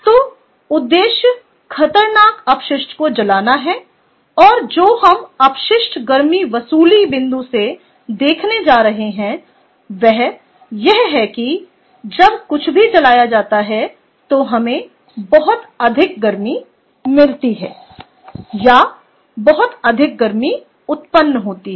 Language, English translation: Hindi, so objective is burning or incineration of hazardous waste ok, and what we are going to look at from waste heat recovery point of view is when anything is burnt, we are going to have a lot of waste heat that is, or or lot of heat that is being generated